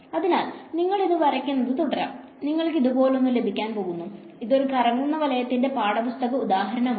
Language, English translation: Malayalam, So, you can keep drawing this you are going to get a something like this; this is a textbook example of a swirl right